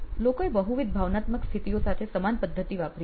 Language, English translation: Gujarati, People have done the same method with multiple emotional states